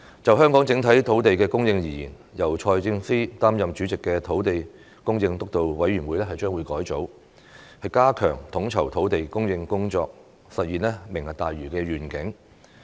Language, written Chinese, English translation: Cantonese, 就香港整體土地供應而言，由財政司司長擔任主席的土地供應督導委員會將會改組，加強統籌土地供應工作，實現"明日大嶼願景"。, Regarding the overall supply of land in Hong Kong the Steering Committee on Land Supply chaired by the Financial Secretary will be re - structured to strengthen the coordination of land supply and realize the Lantau Tomorrow Vision